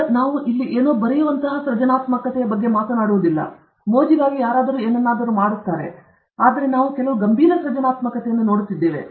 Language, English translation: Kannada, Now, we are not talking about those instances of creativity where somebody writes something here, somebody for fun does something, but we are looking at some serious creativity